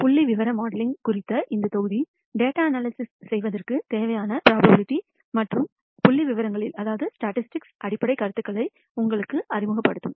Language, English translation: Tamil, This module on Statistical Modeling will introduce you the Basic Concepts in Probability and Statistics that are necessary for performing data analysis